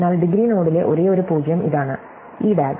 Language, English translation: Malayalam, So, this is the only 0 in degree node, in this DAG